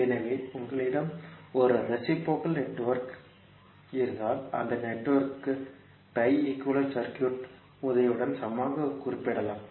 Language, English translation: Tamil, So, if you have a reciprocal network, that network can be represented equivalently with the help of pi equivalent circuit